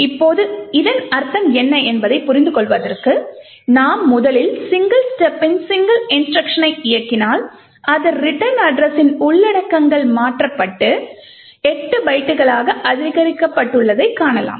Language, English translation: Tamil, Now to understand what this means we would first single step execute a single instruction and see that the contents of the return address has been modified and incremented by 8 bytes